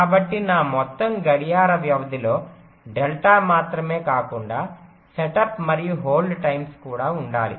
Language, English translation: Telugu, so my total clock period should include not only delta but also the setup and hold times